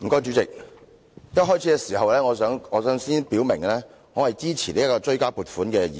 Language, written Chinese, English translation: Cantonese, 代理主席，我想在發言前先表明，我支持《追加撥款條例草案》。, Deputy President before I start I would like to state clearly that I support the Supplementary Appropriation 2016 - 2017 Bill the Bill